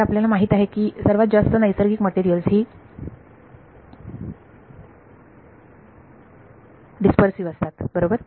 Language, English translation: Marathi, So, we all know that most natural materials are dispersive right